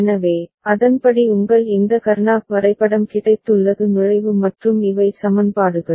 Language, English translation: Tamil, So, accordingly you have got your this Karnaugh map entry and these are the equations